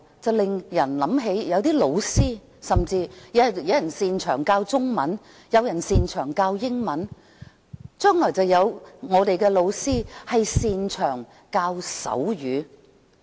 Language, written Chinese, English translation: Cantonese, 我們有些老師擅長教授中文，有些擅長教授英文，將來可能有些擅長教授手語。, Some teachers are good at teaching Chinese and others English . In the future there may be teachers who excel in teaching sign language